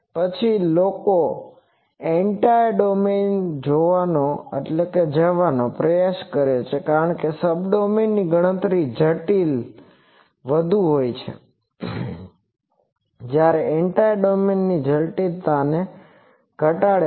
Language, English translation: Gujarati, Then people try to go for Entire domain because in a Subdomain the computational complexity is more whereas, Entire domain reduces the complexion of complexity